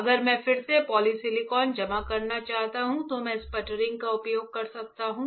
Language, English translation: Hindi, If I want to the deposit polysilicon again, I can use sputtering